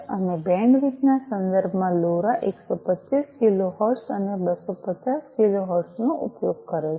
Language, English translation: Gujarati, And in terms of bandwidth, LoRa uses 125 kilohertz and 250 kilohertz